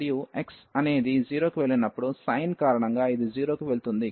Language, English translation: Telugu, And when x goes to 0, because of the sin this will go to 0